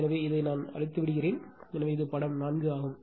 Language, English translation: Tamil, So, let me clear it, so this is figure 4